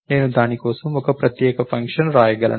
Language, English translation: Telugu, I can write a separate function for that